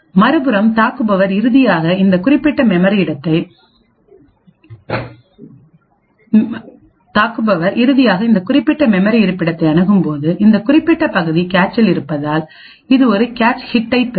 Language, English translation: Tamil, On the other hand when the attacker finally accesses this specific memory location it would obtain a cache hit due to the fact that this particular element is present in the cache